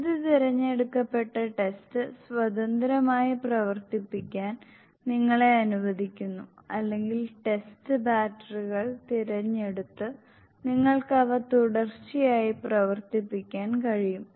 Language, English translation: Malayalam, With this allows you to run selected test independently or you can even run them continuously by selecting test batteries and of course, you have the choice of the selecting different tests to make your own test battery